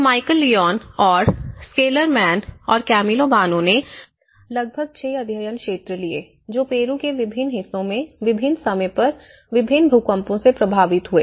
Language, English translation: Hindi, So, this is Michael Leone and Schilderman and Boano; Camillo Boano, so what they did was they have taken about 6 study areas, which are affected by different earthquakes in different timings and different parts of Peru